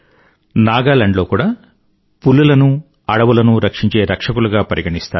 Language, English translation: Telugu, In Nagaland as well, tigers are seen as the forest guardians